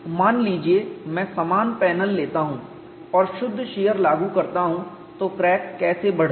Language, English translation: Hindi, Suppose I take the same panel and apply pure shear how does the crack grow